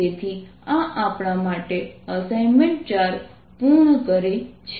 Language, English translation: Gujarati, so this completes assignment four for us